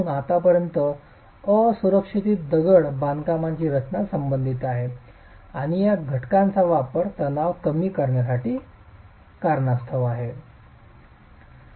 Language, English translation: Marathi, That's as far as unreinforced masonry design is concerned and the use of these factors to account for stress reduction itself